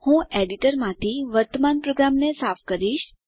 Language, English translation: Gujarati, I will clear the current program from the editor